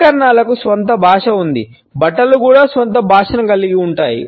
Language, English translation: Telugu, Accessories have their own language; fabrics also have their own language